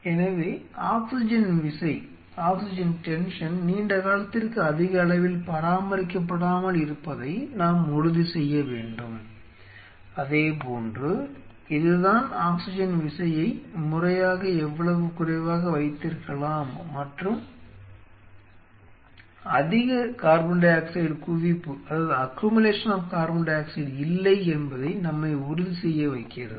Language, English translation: Tamil, So, we have to ensure that the oxygen tension is not maintained at a higher level for a prolonged period of time, similarly that brings us that to the fact that how very systematically we can keep the oxygen tension low and ensure there is not much accumulation of CO2